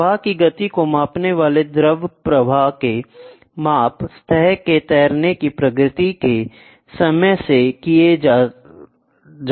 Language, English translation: Hindi, Fluid flow measurement measuring the speed of a flow can be done by timing the progress of a surface floats